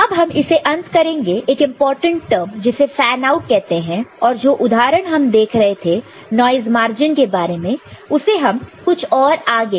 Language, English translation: Hindi, Now, we shall end with one important term called fanout and the example that we had been talking about noise margin we know, we will take it little bit further